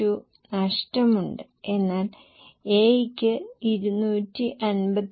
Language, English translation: Malayalam, 82 but for A there is a gain of 253